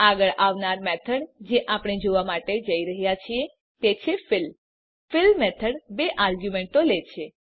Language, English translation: Gujarati, The next method we are going to look at, is fill The fill method takes two arguments